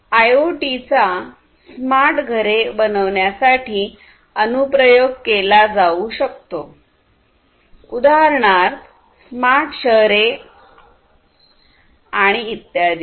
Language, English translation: Marathi, So, IoT finds applications in building smart homes for instance, smart cities and so on